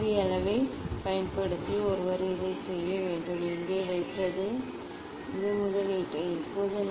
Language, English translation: Tamil, one has to do that using the spirit level, putting here, adjusting this etcetera